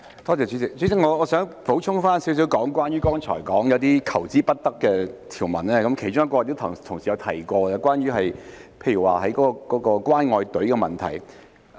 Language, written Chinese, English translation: Cantonese, 代理主席，我想補充少許關於剛才所說那些求之不得的條文，其中一項同事亦有提及，是關於"關愛隊"的問題。, Deputy Chairman I would like to add a few words about those provisions which are most welcome as mentioned just now . One of them has also been touched on by the Honourable colleagues . It is about the caring queues